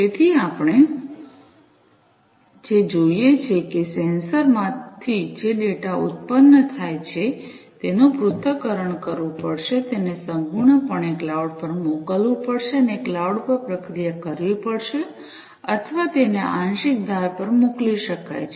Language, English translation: Gujarati, So, what we see that the data that are produced from the sensors, will either have to be analyzed will have to be sent completely to the cloud, and will have to be processed at the cloud, or it could be sent to the edge partial processing, will take place at the edge